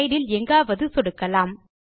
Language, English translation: Tamil, Click anywhere in the slide